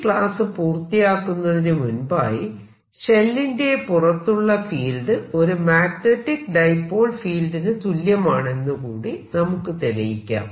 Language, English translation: Malayalam, let me, before i finish this lecture, show you that outside field is really a magnetic dipole field